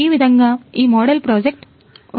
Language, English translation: Telugu, This is how our model project is